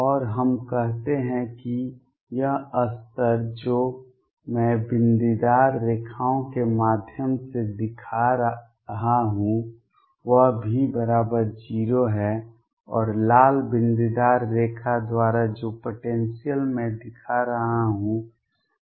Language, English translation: Hindi, And let us say this level which I am showing through dotted lines is V equals 0 and the height of the potential which I am showing by the red dotted line is V